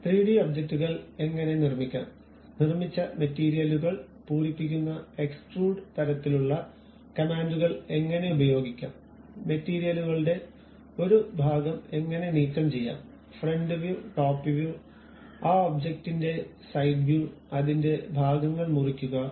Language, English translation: Malayalam, Now, we will learn about how to construct 3D objects, how to use extrude kind of commands filling the materials constructed, how to remove part of the materials and how to visualize different views like front view, top view, side view of that object and cut sections of that